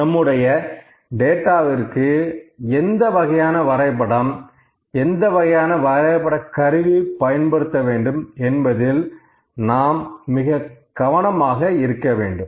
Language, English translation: Tamil, So, we have to be very careful that which kind of chart, which kind of graphical tool always using for our data